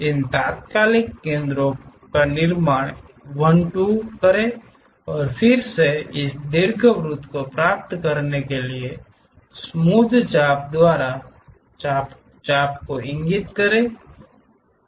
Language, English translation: Hindi, Construct these instantaneous centers 1 2 and then draw the arcs connect by smooth arcs to get this ellipse